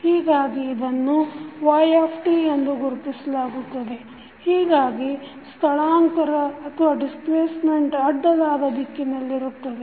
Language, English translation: Kannada, So, it is represented with y t, so displacement will be in the horizontal direction